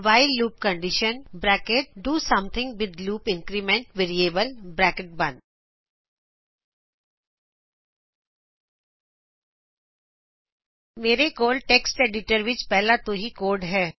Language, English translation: Punjabi, while loop condition { do something with loop increment variable } I already have the code in a text editor